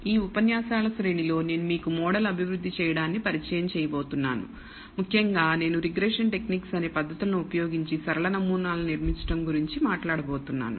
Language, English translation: Telugu, In this series of lectures I am going to introduce to you model building; in particular I will be talking about building linear models using a techniques called regression techniques